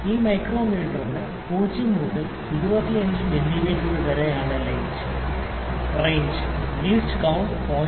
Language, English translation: Malayalam, This micrometer is having range from 0 to 25 mm and the least count is 0